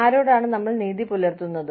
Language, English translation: Malayalam, Who are we, being fair to